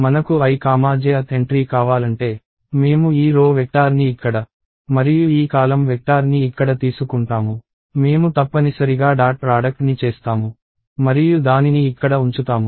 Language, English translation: Telugu, So, if I want i comma j th entry, I will take this row vector here and this column vector here; I will do a dot product essentially and I will put it here